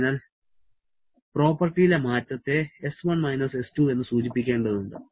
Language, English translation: Malayalam, So it has to denote change in property S1 S2